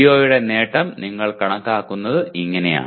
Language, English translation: Malayalam, And this is how you compute the attainment of PO